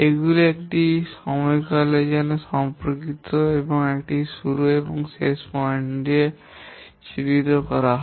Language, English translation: Bengali, These are associated with a duration and identified with a start and end point